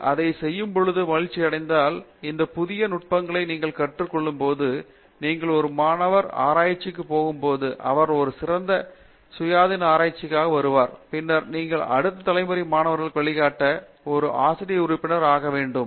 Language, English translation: Tamil, Lot of enjoyment when you do it and when you learn many of these new techniques, they are going to be of a great use when you go for a post doctoral research later where, you are supposed to do a independent research and then also when you yourself become a faculty member to guide the next generation students